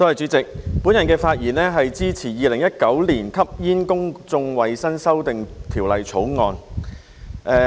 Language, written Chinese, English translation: Cantonese, 主席，我的發言是支持《2019年吸煙條例草案》。, President I rise to speak in support of the Smoking Amendment Bill 2019 the Bill